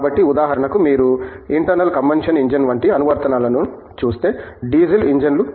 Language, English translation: Telugu, So if, for example, you look at an application like internal combustion engine let say, Diesel engines